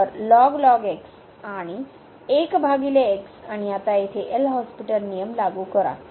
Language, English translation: Marathi, So, and 1 over x and now apply the L’Hospital rule here